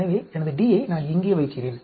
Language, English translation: Tamil, So, I put my d here